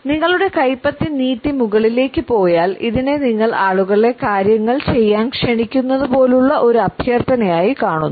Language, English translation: Malayalam, If you extend your palm out and up people see this more as a request like you are inviting them to do things